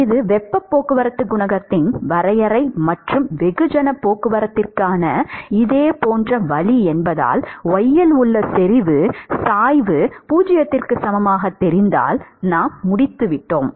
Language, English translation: Tamil, Because this is a definition of heat transport coefficient and a similar way for mass transport, if we know the concentration gradient at y equal to 0, we are done